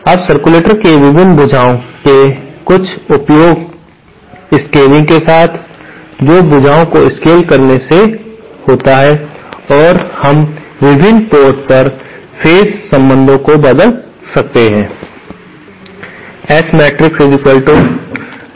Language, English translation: Hindi, Now, with some suitable scaling of the various arms of the circulator that is by scaling the arms and we might change the phase relationships at the different ports